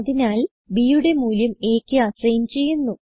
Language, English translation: Malayalam, So value of b is assigned to a